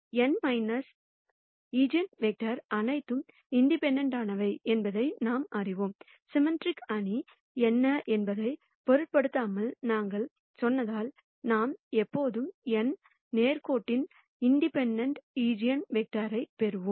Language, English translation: Tamil, We know, that all of this n minus eigenvectors are also independent; because we said irrespective of what the symmetric matrix is, we will always get n linearly independent eigenvectors